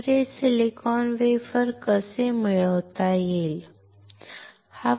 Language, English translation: Marathi, So, how this silicon wafer can be obtained